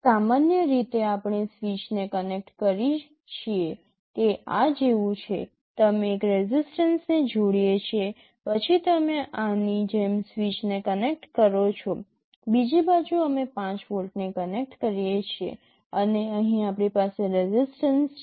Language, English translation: Gujarati, Typically we connect a switch is like this; we connect a resistance, then you connect a switch like this, on the other side we connect 5 volts and here we have resistance